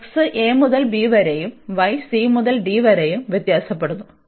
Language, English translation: Malayalam, So, x varies from a to b and y varies from c to d